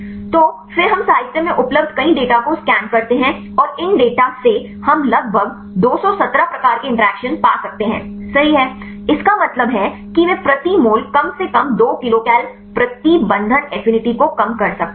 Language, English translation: Hindi, So, then we scan the literature many data available in the literature and from these data we can find about 217 types of interactions right; that means, they can reduce the binding affinity at least 2 kilocal per mole